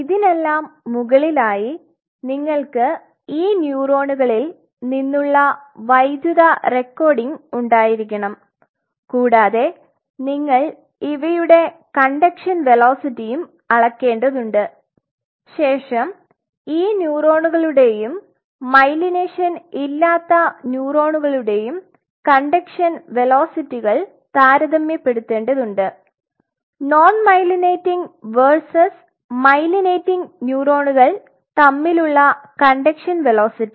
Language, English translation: Malayalam, And on top of that and on top of that you have to have electrical recording from these neurons and you have to measure you have to measure the conduction velocity and you have to compare the conduction velocity of these neurons along with a neuron without myelination, comparing conduction velocity between non myelinating versus myelinating neurons